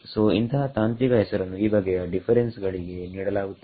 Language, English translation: Kannada, So, this is the technical name given to this kind of a difference